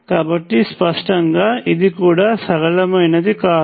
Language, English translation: Telugu, So, clearly this is also not linear